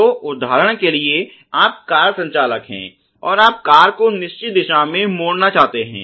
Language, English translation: Hindi, So, let us look at the example for example, you are car driver, and you want to turn the car to the certain direction